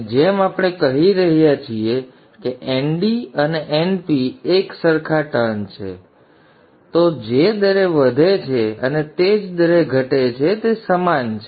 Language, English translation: Gujarati, And as we are saying that N D and N P are same number of turns, 1 1, then the rate at which it increases in the rate at which falls the same